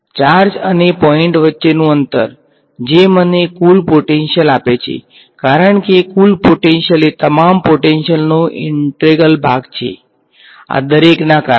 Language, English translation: Gujarati, Distance, between the charge and the point right that is what gives me the total potential, for total potential is the integral of all the potential due to everyone of these fellows